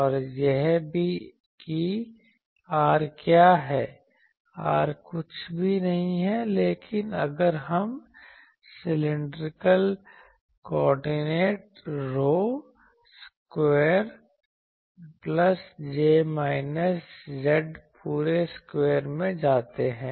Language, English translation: Hindi, And also what is R, R is nothing but if we go to cylindrical coordinates rho square plus j minus z dashed whole square